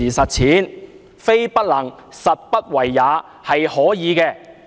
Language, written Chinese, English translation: Cantonese, 其實，非不能，實不為也，是可以做到的。, Actually this is not something that cannot be done but that the Government refuses to get things done